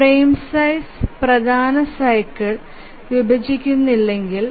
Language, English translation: Malayalam, But what if the frame size doesn't divide the major cycle